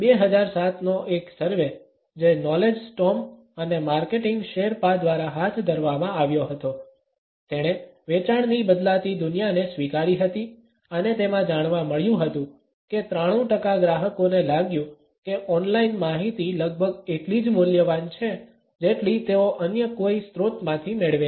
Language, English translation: Gujarati, A 2007 survey, which was conducted by Knowledge Storm and Marketing Sherpa, acknowledged the changing sales world and it found that 93 percent of the customers felt that online information was almost as valuable as information which they receive from any other source